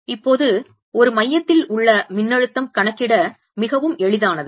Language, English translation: Tamil, now, potential at a center is very easy to calculate